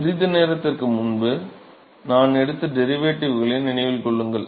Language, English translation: Tamil, So, remember the derivatives we took a short while ago